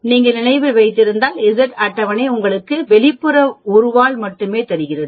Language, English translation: Tamil, That is the catch here if you remember, because the Z table gives you only the outer one tail